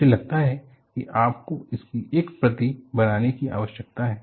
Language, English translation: Hindi, I think you need to make a copy of this